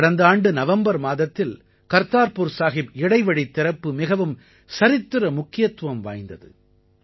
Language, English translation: Tamil, Opening of the Kartarpur Sahib corridor in November last year was historic